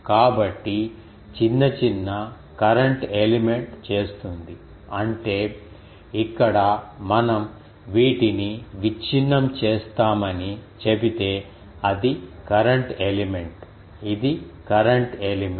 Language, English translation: Telugu, So, small small current element will do; that means, here if we say we will break these into suppose this is a current element, this is a current element, this is a current element